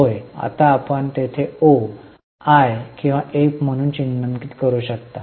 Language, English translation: Marathi, Now we want to mark it as O, I or F